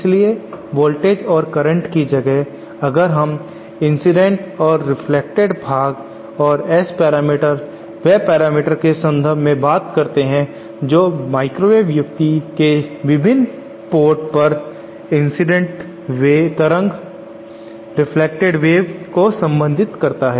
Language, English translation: Hindi, So instead of voltages and currents we tend to talk in terms if incident and reflected parts and s parameters are those parameters which relate the incident and reflected wave at the various port of a microwave device